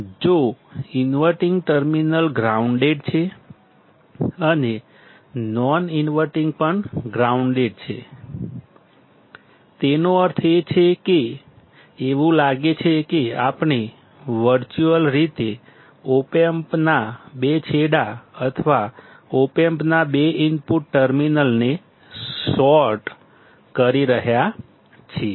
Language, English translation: Gujarati, If inverting terminal is grounded and the non inverting is also grounded, that means, it looks like we are virtually shorting the two ends of the op amp or the two input terminals of the op amp